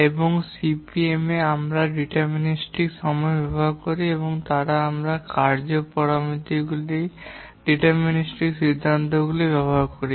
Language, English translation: Bengali, And in CPM we use deterministic times and therefore we use deterministic conclusions regarding the task parameters